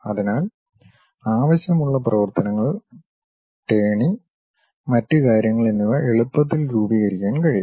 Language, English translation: Malayalam, So, required operations like turning and other things can be easily formed